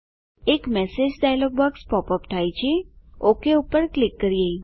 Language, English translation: Gujarati, A message dialog box pops up.Let me click OK